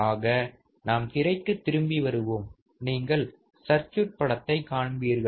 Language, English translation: Tamil, So, Let us come back on the screen and you will see the circuit